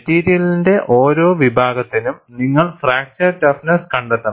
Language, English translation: Malayalam, For each category of material, you have to find out the fracture toughness